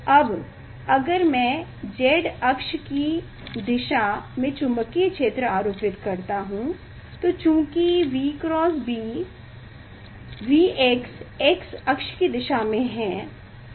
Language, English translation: Hindi, now, if I apply the magnetic field along the z axis, then since V cross B, V x is along the x axis